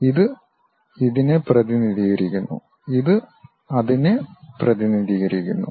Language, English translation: Malayalam, This one represents this and this one represents that